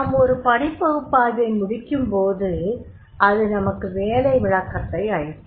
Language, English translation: Tamil, When we complete the job analysis then job analysis will give us the job description that will describe the job